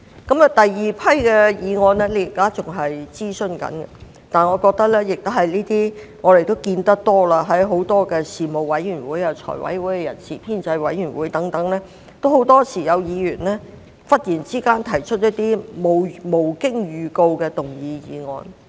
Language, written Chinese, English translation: Cantonese, 至於第二批擬議修訂，現正進行諮詢，但當中也涵蓋一些我們常見的情況，因為無論在事務委員會、財委會、人事編制委員會會議上，很多時均有議員忽然提出無經預告的議案。, Consultation is currently underway on the second batch of proposed amendments and they also cover some problems we often encounter because Members tend to move motions suddenly without notice at meetings of panels FC and the Establishment Subcommittee